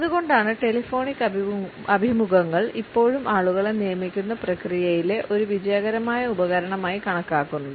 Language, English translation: Malayalam, And that is why we find the telephonic interviews are still considered to be a successful tool in the process of hiring people